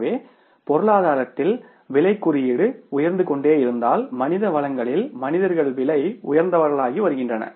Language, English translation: Tamil, So, if the price index is going up in the economy, the human beings or the human resources are becoming costlier